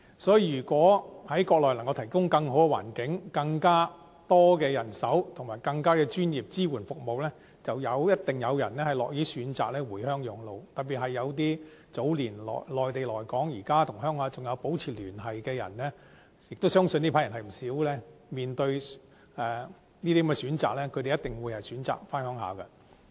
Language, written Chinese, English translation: Cantonese, 所以，如果能夠在國內提供更好的環境，更多的人手和更專業的支援服務，便一定有人樂意選擇回鄉養老，特別是早年從內地來港，現時仍與同鄉保持聯繫的人——亦相信這批人為數不少——面對這些選擇，他們一定選擇回鄉養老。, I am sure that some elderly persons will be happy to retire on the Mainland if we can provide better environment more care personnel and professional support services to them . For those who have kept in contact with compatriots in their hometowns after they moved to Hong Kong at a young age they will have stronger desire to settle on the Mainland . I think many elderly persons somehow have connections in their hometowns and they will surely opt to settle on the Mainland after retirement